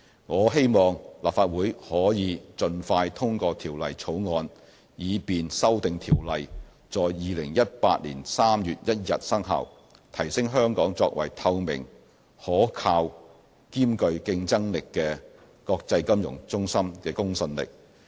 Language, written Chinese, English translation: Cantonese, 我希望立法會可以盡快通過《條例草案》，以便修訂條例在2018年3月1日生效，提升香港作為透明、可靠兼具競爭力的國際金融中心的公信力。, I hope the Legislative Council will pass the Bill expeditiously so that the amended Ordinance will become effective on 1 March 2018 to enhance our credibility as a transparent trusted and competitive international financial centre